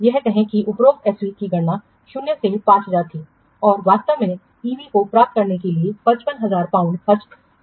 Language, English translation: Hindi, So, say that the SB above was calculated minus 5,000 and actually 55,000 pound had been spent to get this EV